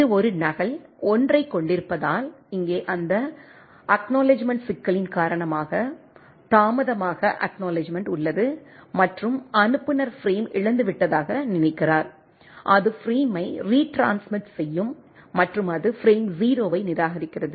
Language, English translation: Tamil, That it has a duplicate 1, because of that acknowledgement problem here the, there is a delayed acknowledgement and the sender thinks that the frame has lost, it will retransmit the frame again and it discards the frame 0